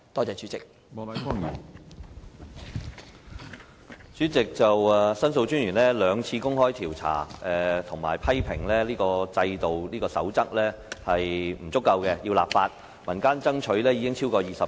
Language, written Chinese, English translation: Cantonese, 主席，申訴專員公署曾進行兩次調查，批評《守則》並不完善，須立法執行，而民間爭取亦超過20年。, President after two rounds of investigation the Office of The Ombudsman the Office criticized that the Code was inadequate and enactment of legislation was required for enforcement . The community has strived for the enactment of legislation for more than two decades